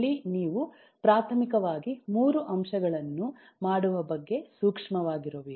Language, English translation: Kannada, there are primarily 3 points which you should be sensitive about